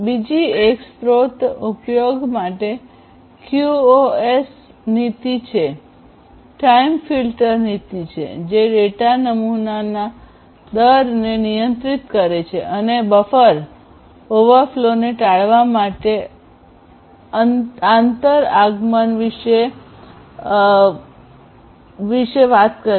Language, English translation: Gujarati, And the second one the QoS policy for resource utilization is time filter policy which controls the data sampling rate and this basically talks about the inter arrival time to avoid buffer overflow